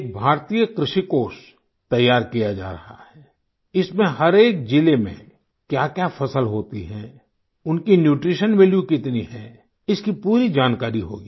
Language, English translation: Hindi, An Agricultural Fund of India is being created, it will have complete information about the crops, that are grown in each district and their related nutritional value